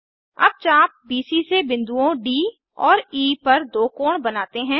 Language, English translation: Hindi, lets subtend two angles from arc BC to points D and E